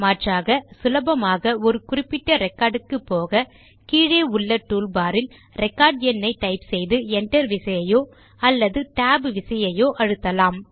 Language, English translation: Tamil, Alternately, to simply go to a particular record, type in the record number in the bottom toolbar and press enter key or the tab key